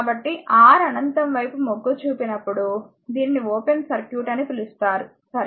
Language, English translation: Telugu, So, it is called when R tends to infinity means is says it is an open circuit, right